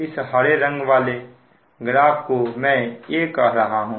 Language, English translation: Hindi, that means this will be your graph a